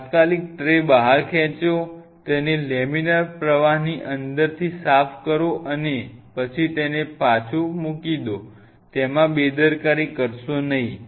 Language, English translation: Gujarati, Immediately wipe it out pull out the tray wipe it out inside the laminar flow would and then put it back, do not neglect